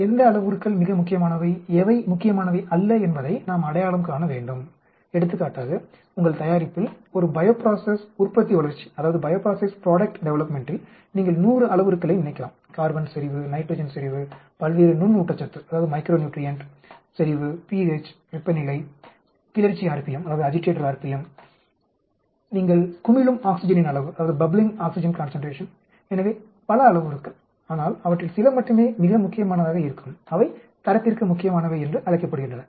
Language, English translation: Tamil, We need to identify which parameters are very important which are not, for example in your product, in a bio process product development you can think of 100 of parameters carbon concentration, nitrogen concentration, various micro nutrition concentration, the pH temperature, the agitator r p m, the amount of oxygen you are bubbling, so many parameters but only few of them will be very important that is called the critical to quality